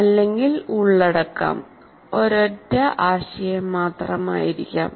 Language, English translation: Malayalam, Or the content could be just merely one single concept as well